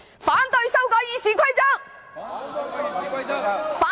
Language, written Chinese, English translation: Cantonese, 反對修改《議事規則》！, We oppose the amendments to the Rules of Procedure!